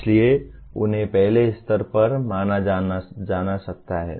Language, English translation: Hindi, So they can be considered at first level